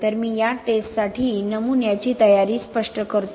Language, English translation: Marathi, So let me explain the specimen preparation for this test